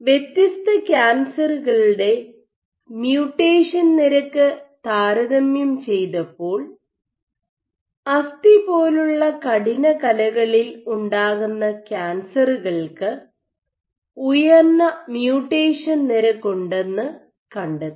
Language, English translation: Malayalam, So, there has been another finding that if you compare the mutation rate of different cancers, what has been found that cancers which originate in stiffer tissues like bone have higher rates of mutation